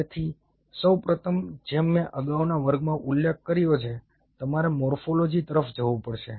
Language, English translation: Gujarati, so first of all, as i mentioned in the previous class, you have to the morphology